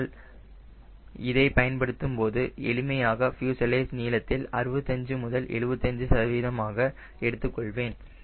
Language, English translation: Tamil, but when i do, i take lt as simple as sixty five to seventy percent of fuselage length